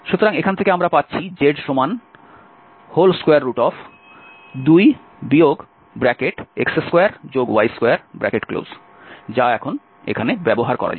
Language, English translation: Bengali, So, from here what we will get that z is 2 minus x square and minus y square so that can be used here now